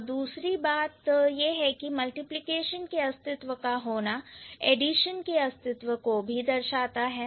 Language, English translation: Hindi, The other thing is that the existence of multiplication implies the existence of addition